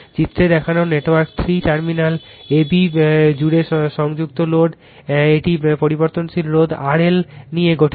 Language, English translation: Bengali, In the network shown in figure 3 the load connected across terminals AB consists of a variable resistance R L right